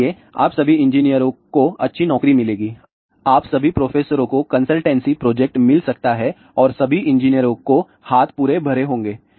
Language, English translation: Hindi, So, all you engineers will get good possible job, all you professors may get consultancy project and all the engineers you have your hands full